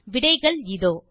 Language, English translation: Tamil, And now look at the answers, 1